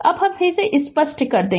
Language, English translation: Hindi, So, now let me clear it